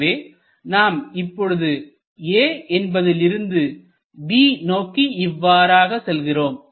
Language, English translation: Tamil, So, we are going from A to B in this direction